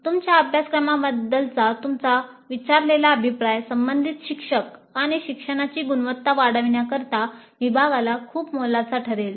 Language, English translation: Marathi, Your considered feedback on the course will be of great value to the concerned instructor and the department in enhancing the quality of learning